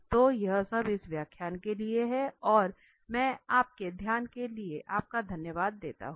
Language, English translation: Hindi, So that is all for this lecture and I thank you for your attention